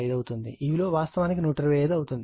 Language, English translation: Telugu, 5 it will be actually 125 right